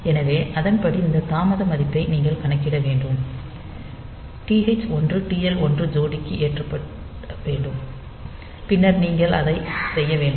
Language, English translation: Tamil, So, accordingly you have to start that you have to load that you have to calculate this delay value, to be loaded into TH 1 TL 1 pair and then you have to do that